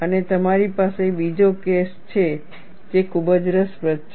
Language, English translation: Gujarati, And you have another case, which is very interesting